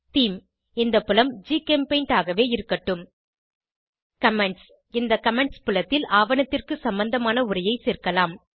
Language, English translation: Tamil, Theme lets leave this field as GChemPaint Comments In the Comments field, we can add text related to the document